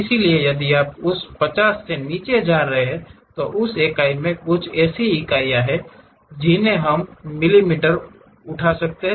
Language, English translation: Hindi, So, if you are coming down below that 50, there is something like units in that unit we can pick mm